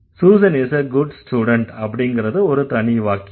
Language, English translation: Tamil, Susan is a good student, is an independent sentence